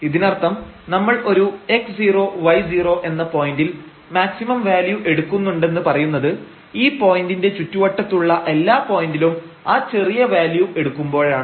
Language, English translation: Malayalam, So, meaning here we are calling that the function is taking maximum value at this x 0 y 0 point if at all other points in the neighborhood of this point function is taking smaller values